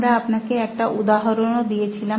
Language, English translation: Bengali, We showed you an example